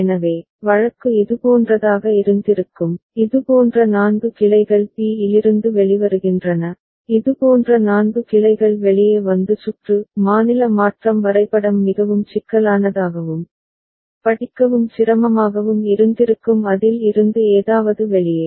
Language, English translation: Tamil, So, the case would have been, would have been something like this from a, four such branches coming out from b, four such branches coming out and the circuit the state transition diagram would have been very complex and inconvenient to read and to make out something out of it